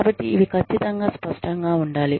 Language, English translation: Telugu, So, these need to be absolutely clear